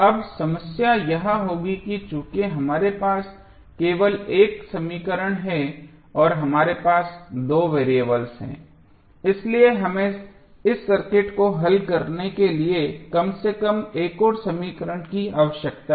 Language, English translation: Hindi, Now, the problem would be that since we have only one equation and we have two variables means we need at least one more equation to solve this circuit